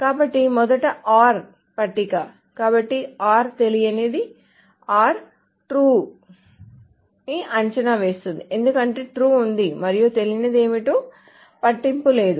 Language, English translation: Telugu, So, or is unknown or true evaluates to true because there is a true and it doesn't matter what the unknown is